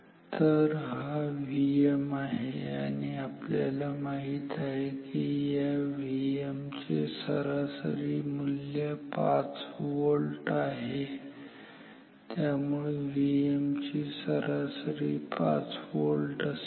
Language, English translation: Marathi, So, this is V m and we know the average value of this V m is 5 volt